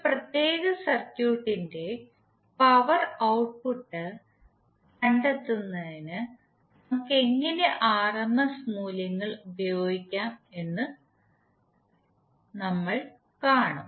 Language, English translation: Malayalam, And how we can use these values in finding out the power output of a particular circuit